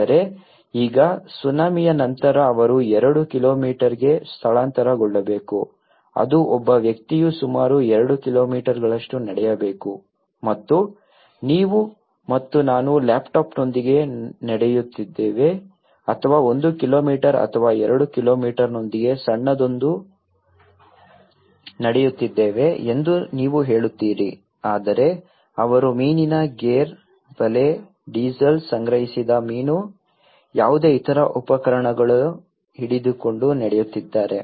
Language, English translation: Kannada, But now, after the tsunami they have to relocate to two kilometres which is almost taking a person has to walk almost 2 kilometres and you say you and me are walking with a laptop or a small with one kilometre or two kilometres but they are walking with a fish gear, net, diesel, the collected fish, any other equipments